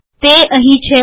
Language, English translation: Gujarati, Here it is